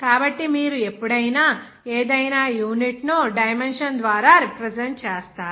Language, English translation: Telugu, So whenever you are going to represent any unit by dimension